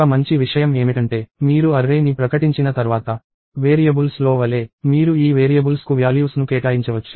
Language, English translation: Telugu, One nice thing is once you have declared an array; just like in variables, you can assign values to these variables